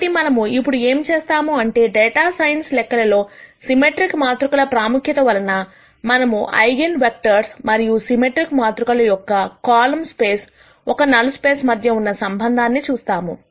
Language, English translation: Telugu, So, what we are going to do right now is, because of the importance of symmetric matrices in data science computations, we are going to look at the connection between the eigenvectors and the column space a null space for a symmetric matrix